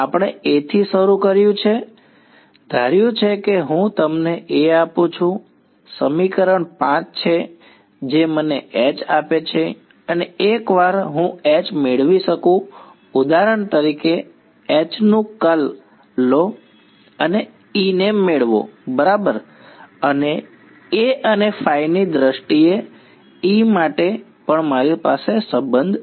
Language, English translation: Gujarati, We started with A, from A I have supposing I give you A I have equation 5 which gives me H and once I get H I can for example, take curl of H and get E right and I also have a relation for E in terms of A and phi right